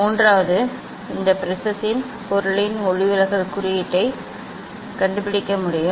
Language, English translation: Tamil, Third is one can find out the refractive index of the material of this prism